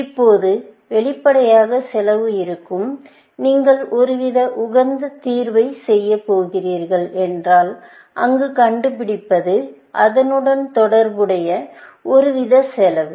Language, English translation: Tamil, Now, obviously, there would be cost, if you going to do some kind of optimal solution, finding there, would be some kind of cost associated with it